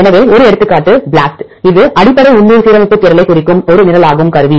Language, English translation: Tamil, So, one example is BLAST, it is a program this stands for Basic Local Alignment Search Tool